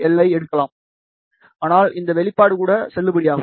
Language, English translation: Tamil, 48 lambda, but even this expression is valid